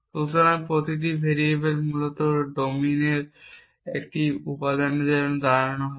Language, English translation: Bengali, So, every variable would basically stand for element in the domine essentially